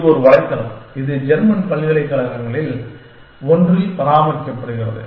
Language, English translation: Tamil, It is a website, maintained in one of the German universities